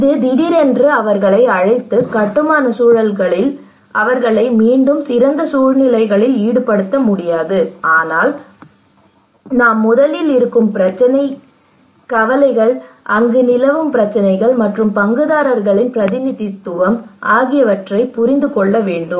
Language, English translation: Tamil, It is not that they will suddenly call for involving in construction process in a build back better situations, but we should first let know that what is the existing problem what are the concerns there what are the prevailing issues there okay and then representation of the stakeholders